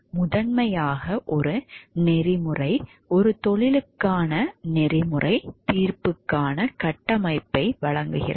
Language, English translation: Tamil, Primarily a code of ethics provides a framework for ethical judgment for a profession